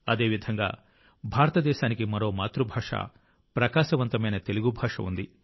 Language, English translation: Telugu, Similarly, India has another mother tongue, the glorious Telugu language